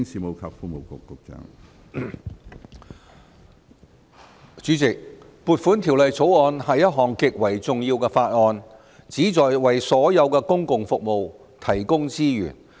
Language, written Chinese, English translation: Cantonese, 主席，《2019年撥款條例草案》是一項極為重要的法案，旨在為所有公共服務提供資源。, Chairman the Appropriation Bill 2019 the Bill is a bill of great importance which is designed to provide resources for the delivery of all public services